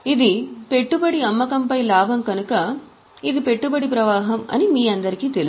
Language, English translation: Telugu, You all know that since this is a profit on sale of investment it is a investing flow